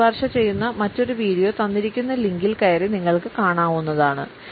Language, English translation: Malayalam, Another video, which I would recommend can be accessed on the given link